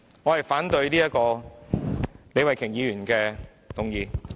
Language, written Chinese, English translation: Cantonese, 我反對李慧琼議員的議案。, I oppose Ms Starry LEEs motion